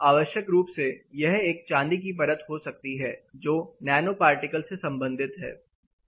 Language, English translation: Hindi, Essentially, it is a silver coat, which certain you know nano particles associated